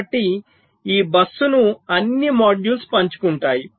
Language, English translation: Telugu, so this bus is being shared by all the modules